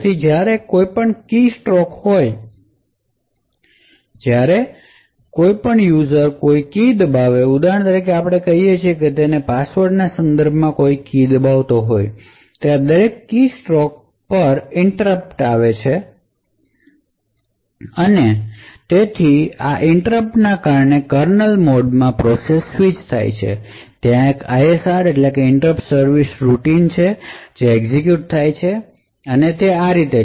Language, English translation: Gujarati, So whenever there is a keystroke that is whenever a user presses a key for example let us say he is pressing a key with respect to his password, each keystroke results in an interrupt the interrupt results in a switch to kernel mode, there is an ISR that gets executed and so on